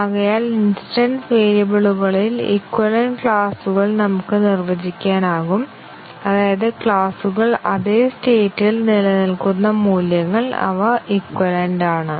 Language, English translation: Malayalam, So, we can define equivalence classes on the instance variables that is, those values for which the class remains in the same state they are equivalent